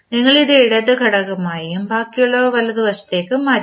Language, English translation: Malayalam, We have kept this as left component and rest we have shifted to right side